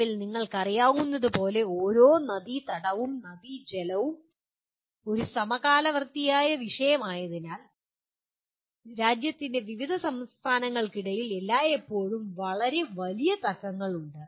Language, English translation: Malayalam, As you know at present, every river basin, being a, river water being a concurrent topic, there are always very major disputes between different states of the country